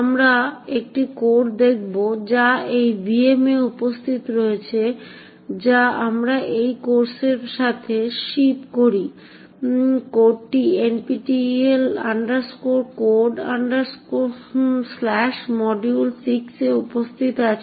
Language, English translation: Bengali, We will look at a code which is present in these vm that we ship along with this course, the code is present in NPTEL Codes/module6, you can look it up at file call print3a